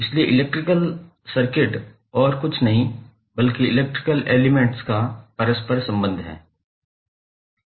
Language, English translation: Hindi, So electric circuit is nothing but interconnection of electrical elements